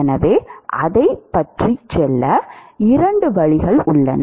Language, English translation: Tamil, So, there are two ways to go about it